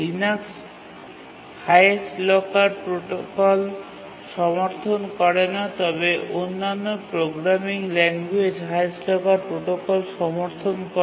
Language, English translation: Bengali, Linux does not support highest lacred protocol, but other programming language supports highest language supports highest locker protocol